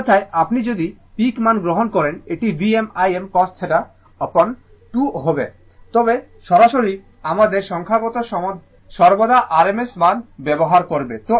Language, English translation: Bengali, Otherwise, if you take the peak value, it will be V m I m cos theta upon 2, but generally we will use always rms value in our numerical right